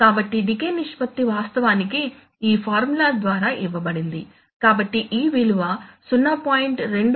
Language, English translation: Telugu, So it turns out that decay ratio will be given, is actually given by this formula, so this value should be less than 0